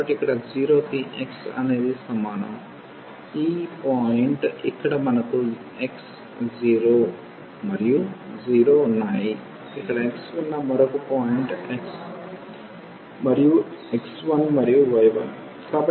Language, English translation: Telugu, So, here x is equal to 0 is this point, where we have x 0 and y 0, the another point we have here where the x is 0 and y is sorry x is 1 and y is 1